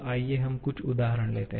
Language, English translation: Hindi, Let us see some examples